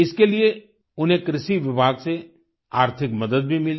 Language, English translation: Hindi, For this, he also received financial assistance from the Agricultural department